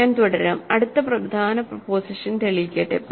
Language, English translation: Malayalam, So, let me now continue and prove the next important proposition